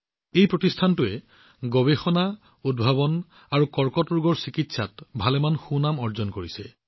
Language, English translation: Assamese, This institute has earned a name for itself in Research, Innovation and Cancer care